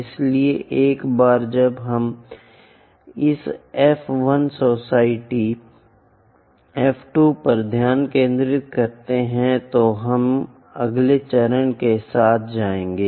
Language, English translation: Hindi, So, once we locate this F 1 foci, F 2 focus, then we will go with the next step